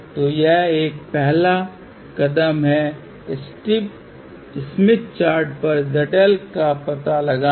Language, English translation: Hindi, So, that is a step one, locate Z L on smith chart